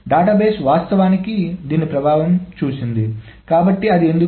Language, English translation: Telugu, The database has actually seen the effect of this